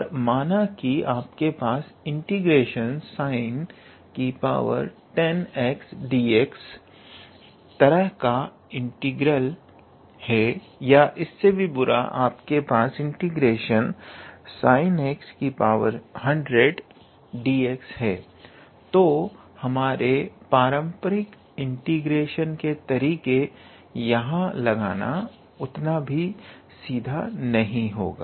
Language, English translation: Hindi, But suppose if you have an integral of type sine to the power 10 x dx, or even worse if you have sine to the power 100 x dx, then in that case that it would not be that much straightforward to apply our traditional methods of integration